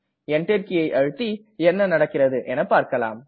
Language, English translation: Tamil, Let us press Enter and see what happens